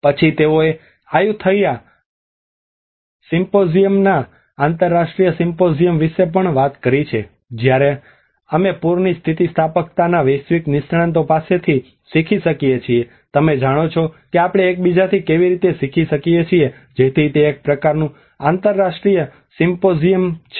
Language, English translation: Gujarati, Then they also talked about the international symposium of Ayutthaya symposium where we can learn from the global experts of flood resilience you know how we can learn from each other so that is a kind of international symposium